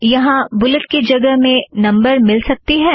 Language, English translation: Hindi, Can I get numbers in the place of bullets here